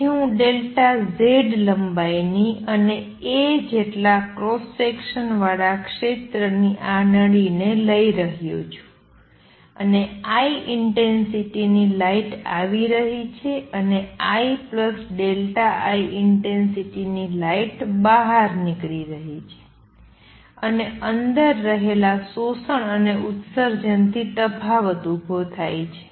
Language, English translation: Gujarati, So, I am taking this tube of length delta Z cross sectional area a and light of intensity I is coming in and light of intensity I plus delta I goes out, and the difference arises from the absorption and emission taking place inside